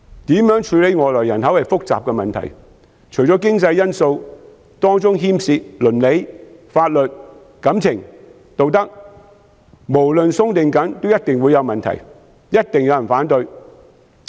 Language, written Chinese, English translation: Cantonese, 如何處理外來人口是複雜的問題，除經濟因素，當中牽涉到倫理、法律、感情和道德，無論寬鬆或嚴謹也一定會有問題，一定有人反對。, How to deal with the inbound population is a complicated issue . In addition to economic factors ethics law feelings and morality also play a part . Any measure whether lax or strict will certainly have problems and arouse opposition